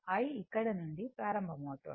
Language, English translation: Telugu, I is starting from here right